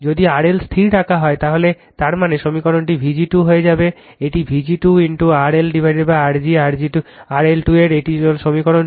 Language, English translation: Bengali, If R L is held fixed, so that means, equation one will become your V g square upon this is vg square into R L upon R g plus R L square this is equation 2 right